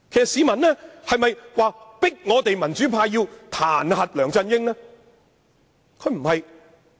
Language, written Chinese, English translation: Cantonese, 市民有否逼迫民主派彈劾梁振英？, Have members of the public forced the pro - democracy camp to impeach LEUNG Chun - ying?